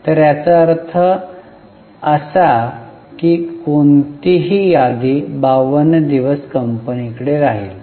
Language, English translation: Marathi, So, that means any inventory which comes in remains with the company for 52 days